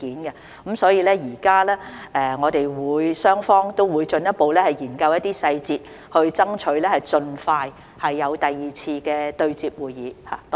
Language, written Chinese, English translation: Cantonese, 現在我們雙方都會進一步研究一些細節，爭取盡快舉行第二次對接會議。, The two sides will now further study the details and strive to hold a second meeting as soon as possible